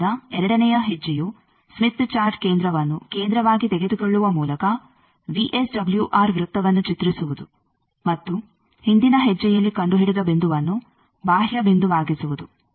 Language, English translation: Kannada, So, the second step is draw VSWR circle by taking Smith Chart centre as centre, and the point found in previous step as the peripheral point